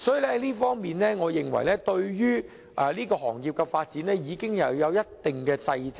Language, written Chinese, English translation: Cantonese, 所以，我認為這方面已對這行業的發展有一定掣肘。, So I think this has imposed certain constraints on the industrys development